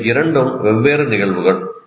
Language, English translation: Tamil, These two are different phenomena